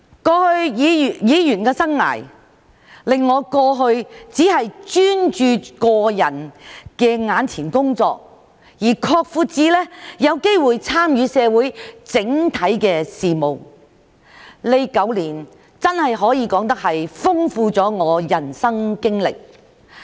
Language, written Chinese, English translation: Cantonese, 過去的議員生涯，令我由過去只專注個人眼前的工作，擴闊至有機會參與社會整體事務，這9年真的可以說豐富了我的人生經歷。, My life as a Member has broadened my horizon from focusing only on my work at hand to having a chance to participate in various social matters . These nine years have enriched my life experience